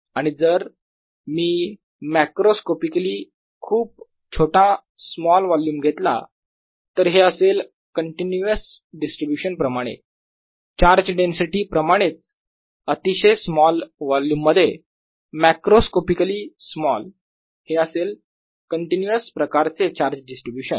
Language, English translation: Marathi, and if i take macroscopically very small volume, there is like a continuous distribution, just like in charge density, also in a very small volume, macroscopically small volume, it's a charge distribution, continuous kind of distribution